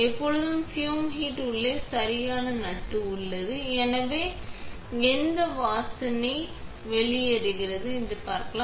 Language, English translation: Tamil, Always, inside the fume hood it is a proper nut, so no smells escape